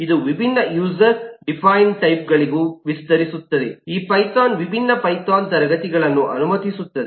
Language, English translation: Kannada, this will also extend to the different user defined types that python allows that different classes